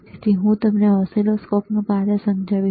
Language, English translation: Gujarati, So, I will explain you the function of oscilloscope,